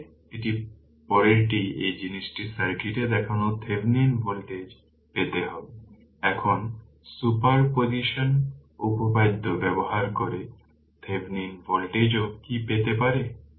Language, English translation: Bengali, So, now next one is you obtain the Thevenin voltage shown in the circuit of this thing, now what to what Thevenin voltage also you can obtain by using super position theorem